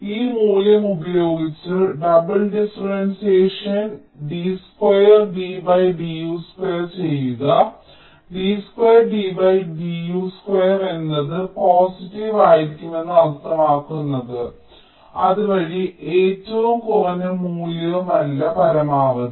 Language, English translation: Malayalam, well, if you do a double differentiation d two d d u square, with this value substituted, you will find that will be d two d d u square will be positive, meaning thereby that this is the minimum value, not maximum